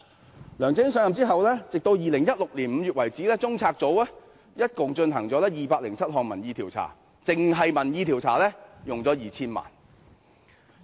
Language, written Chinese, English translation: Cantonese, 自梁振英上任後，截至2016年5月，中策組一共進行了207項民意調查，單是民意調查便花了 2,000 萬元。, Since LEUNG Chun - ying assumed office as at May 2016 CPU has conducted a total of 207 opinion surveys . It has expended 20 million on opinion surveys alone